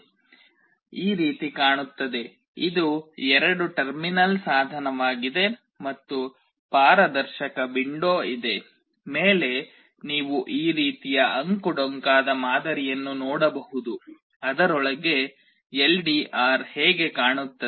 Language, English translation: Kannada, Tt looks like this, it is a two terminal device and there is a transparent window, on top you can see some this kind of zigzag pattern inside it this is how an LDR looks like